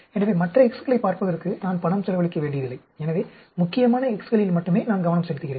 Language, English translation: Tamil, So, I do not have to spend money on looking at other x’s, so I focus only on the important x’s